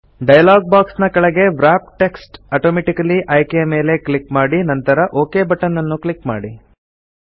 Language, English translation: Kannada, At the bottom of the dialog box click on the Wrap text automatically option and then click on the OK button